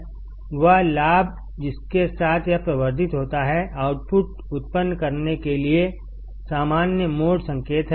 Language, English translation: Hindi, The gain with which it amplifies is the common mode signal to produce the output